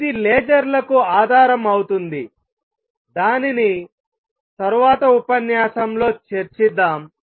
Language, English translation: Telugu, This forms the basis of lasers which we will cover in the next lecture